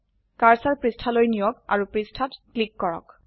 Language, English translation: Assamese, Move the cursor to the page and click on the page